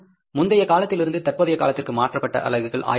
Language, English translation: Tamil, The units transferred from the previous period to the current period 1,000